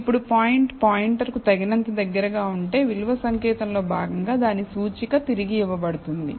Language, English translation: Telugu, Now, if the point is close enough to the pointer, its index will be returned as a part of the value code